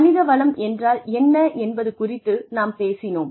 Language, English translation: Tamil, We talked about, what human resources is